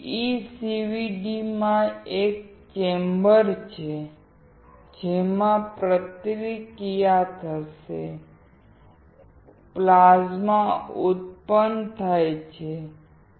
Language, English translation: Gujarati, In PECVD, there is a chamber in which the reaction will occur; plasma is generated